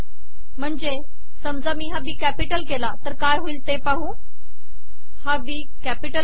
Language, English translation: Marathi, For example if I change this to capital B, See what happens here